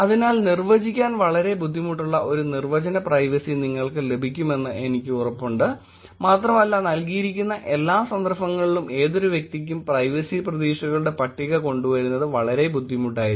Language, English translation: Malayalam, So, I am sure you kind of get the definition privacy which is very hard to define and also it is very difficult to actually come up with the list of privacy expectations for any individual in all given contexts